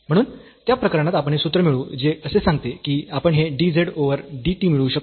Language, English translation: Marathi, So, in that case we will derive this formula which says that we can get this dz over dt